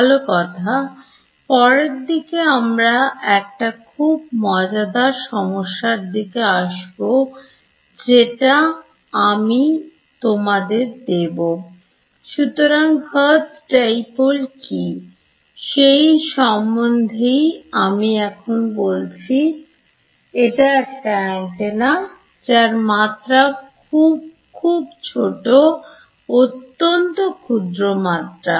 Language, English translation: Bengali, Well, later on we will come to a little more interesting problem that if I give you; so, what is this Hertz dipole that I am talking about, it is an antenna of very very small dimension; very very tiny dimension